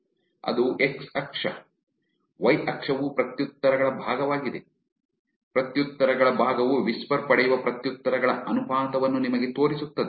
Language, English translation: Kannada, That is the x axis, y axis is fraction of replies, fraction of replies it shows you what is the proportion of replies that the whisper gets